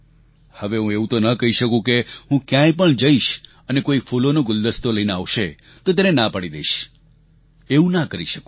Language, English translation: Gujarati, Now, I cannot say that if I go somewhere and somebody brings a bouquet I will refuse it